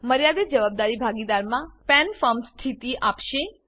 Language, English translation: Gujarati, In case of Limited Liability Partnership, the PAN will be given a Firm status